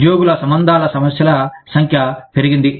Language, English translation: Telugu, Increased number of employee relations issues